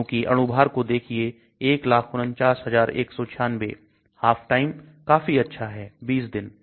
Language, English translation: Hindi, Because look at the molar mass 149196, half life is quite good 20 days